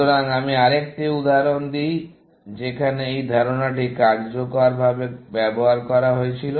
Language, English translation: Bengali, So, let me give another example where, this idea was used effectively